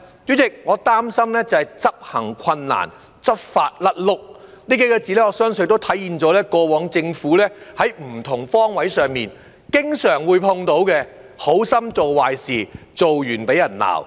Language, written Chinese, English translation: Cantonese, 主席，我擔心的是執行困難、執法"甩轆"，這數個字，我相信體現了政府過往在不同方位上經常碰到"好心做壞事"、做完被罵的情況。, President what I am worried about is the implementation difficulties and faulty law enforcement . I believe these words can sum up the situation of doing a disservice out of good intentions and being chastised for things having been done frequently encountered by the Government in different aspects of its work in the past